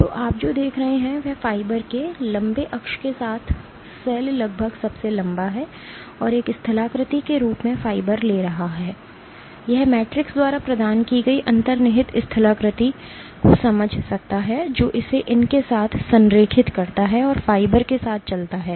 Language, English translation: Hindi, So, what you see is the cell almost longest along the long axis of the fiber taking the fiber as a topography it can sense the underlying topography provided by the matrix it aligns along these and walks along the fiber